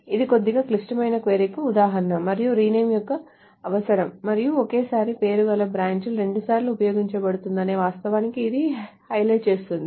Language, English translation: Telugu, This is an example of a little complicated query and where renaming is necessary and this also highlights the fact that the same name branch is used twice